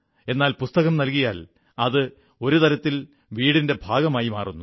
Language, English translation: Malayalam, But when you present a book, it becomes a part of the household, a part of the family